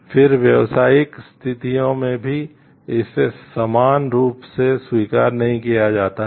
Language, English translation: Hindi, Then it is not accepted equally in business situations also